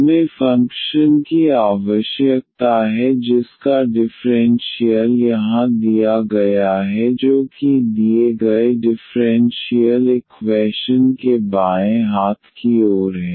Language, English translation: Hindi, We need to find the function f whose differential is here this left hand side of the given differential equation